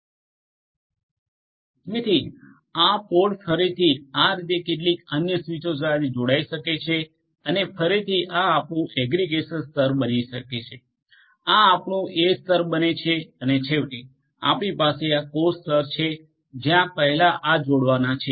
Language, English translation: Gujarati, So, this pod will again be connected to some other switches in this manner and again this becomes your aggregation layer, this becomes your edge layer and finally, you will have also the core layer like before where these are going to connect